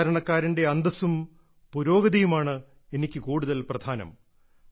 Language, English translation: Malayalam, The esteem and advancement of the common man are of more importance to me